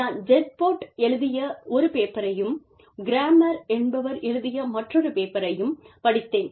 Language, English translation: Tamil, I have referred to a paper by, Gerpott, and another paper by, Kramer